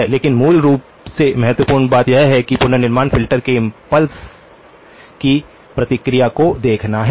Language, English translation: Hindi, But basically, the important thing is to look at the response of the impulse of the reconstruction filter